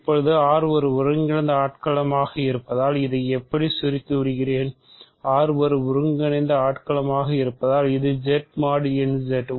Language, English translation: Tamil, Now, we are given that since R is an integral domain; so, I will shorten it like this since R is an integral domain so, is Z mod n Z right